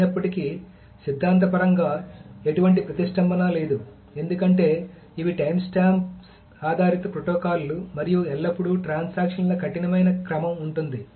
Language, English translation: Telugu, Although theoretically there is no deadlock because these are timestamp based protocols and there is always a strict order of transactions